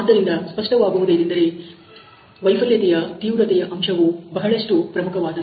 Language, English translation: Kannada, So, obviously, severity aspects of the failure is very important